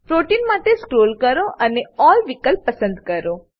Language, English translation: Gujarati, Scroll down to Protein and click on All option